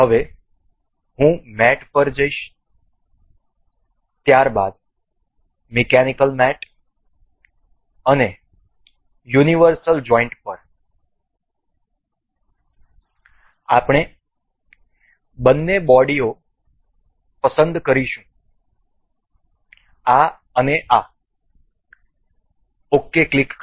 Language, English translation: Gujarati, Now, I will go to mate then the mechanical mate and to universal joint, we will select the two bodies this and this click ok